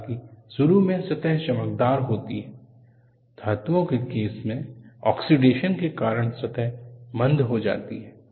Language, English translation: Hindi, Though, the surfaces initially are shiny, in the case of metals, the surfaces become dull, due to oxidation